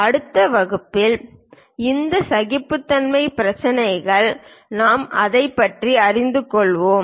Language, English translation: Tamil, These tolerance issues in the next class we will learn about it